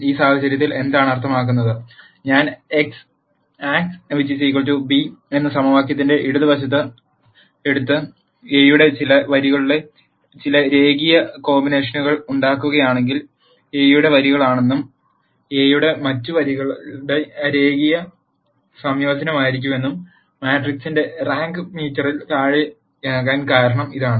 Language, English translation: Malayalam, In this case what it means, is if I take the left hand side of the equation Ax equal to b, and then make some linear combinations of some rows of A, at least one of the rows of A is going to be a linear combination of the other rows of A; that is the reason why the rank of the matrix became less than m